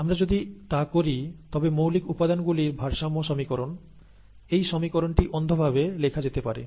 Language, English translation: Bengali, If we do that, the basic material balance equation, this equation can be blindly written